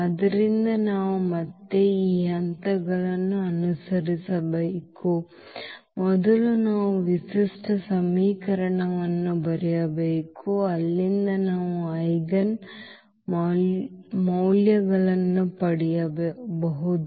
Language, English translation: Kannada, So, we have to again follow these steps that first we have to write down the characteristic equation from there we can get the eigenvalues